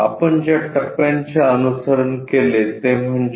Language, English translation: Marathi, The steps what we have followed is